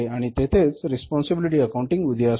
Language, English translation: Marathi, So, responsibility accounting came into being